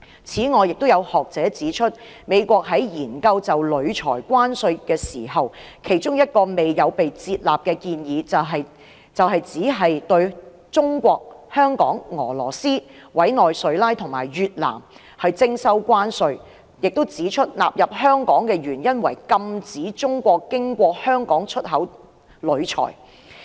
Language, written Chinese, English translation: Cantonese, 此外，亦有學者指出，美國在研究就鋁材徵收關稅時，其中一個未有被接納的建議，就是只對中國、香港、俄羅斯、委內瑞拉和越南徵收關稅，亦指出納入香港的原因，是要禁止中國經香港出口鋁材。, Some scholars have also pointed out that when the United States was considering imposing tariff on aluminium one of the proposals that had not been adopted was to impose tariffs only on China Hong Kong Russia Venezuela and Vietnam . The reason for including Hong Kong was to stop China from exporting aluminium via Hong Kong